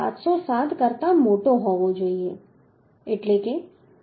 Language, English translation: Gujarati, 707 that means 6